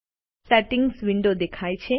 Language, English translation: Gujarati, The Settings window appears